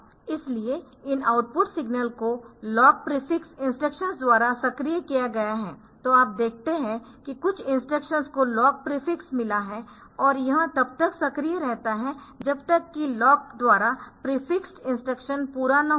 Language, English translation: Hindi, So, these output signal activated by the lock prefix instructions so, you see that some instructions are got lock prefix and this remains active until the completion of the instruction prefixed by lock